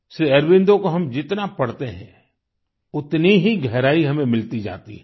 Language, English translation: Hindi, The more we read Sri Aurobindo, greater is the insight that we get